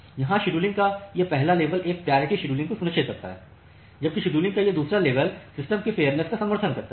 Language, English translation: Hindi, So, here this first level of scheduling it ensures a priority scheduling, whereas, this second level of scheduling it supports fairness in the system